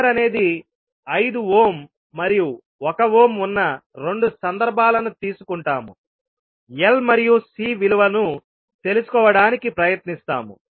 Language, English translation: Telugu, So we will take 2 cases where R is 5 ohm and R is 1 ohm and we will try to find out the value of L and C